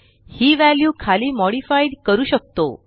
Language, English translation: Marathi, This value can be modified below